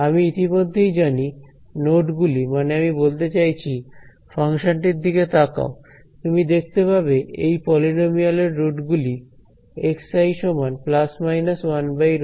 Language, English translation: Bengali, So, I already know the nodes I mean look at this function you can see that the roots of this polynomial are simply x i is equal to plus minus 1 by root 3